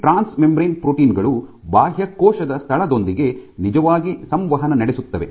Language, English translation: Kannada, So, these transmembrane proteins are the once which actually talk or interact with the extracellular space